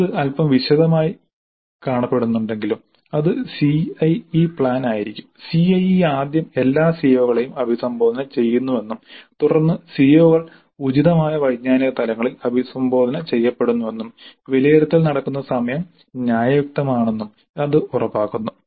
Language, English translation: Malayalam, Though it looks a little bit detailed, this ensures that the CIE first addresses all CEOs then at the address COs at appropriate cognitive levels and the time at which the assessment happens is reasonable